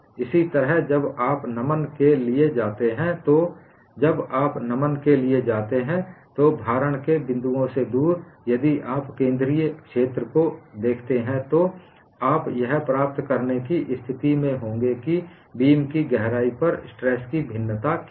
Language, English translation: Hindi, Similarly, when you go for bending, away from the points of loading, if you look at the central zone, you will be in a position to get what is the variation of stress over the depth of the beam